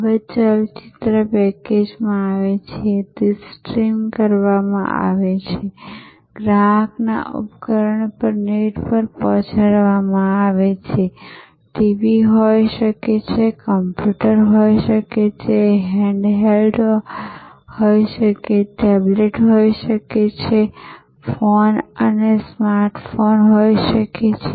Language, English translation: Gujarati, Now, movies are packaged, they are streamed, delivered over the net on to the device of the customer, could be TV, could be computer, could be a handheld tablet, could be phone a smart phone